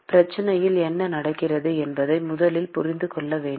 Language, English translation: Tamil, You should first intuit what is happening in the problem